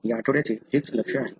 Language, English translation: Marathi, So, that's the focus of this week